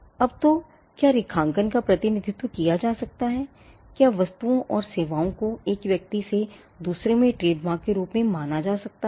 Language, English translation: Hindi, Now so, what can be graphically represented, what can distinguish goods and services from one person to another this regarded as a trademark